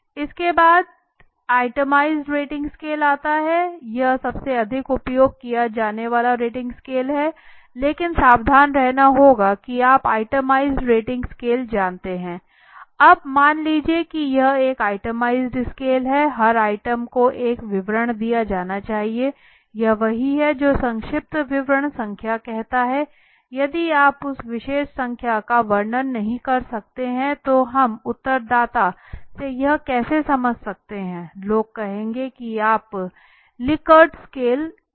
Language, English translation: Hindi, Then comes the itemized rating scales this is the most utilized rating scales but one has to be careful that you know itemized rating scale every item now suppose this is an itemized rating scale every item should be given a description this is what it says number of brief description if you cannot describe that particular number then how do we expect the respondent to understand it suppose people would say why was there 5 Likert scales